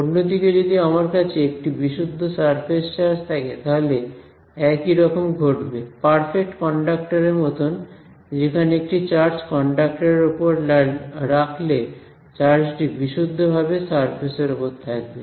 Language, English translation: Bengali, On the other hand if I have a pure surface charge that can again happen for like perfect conductors who take a perfect metallic conductor put charge on it, where does a charge live purely on the surface right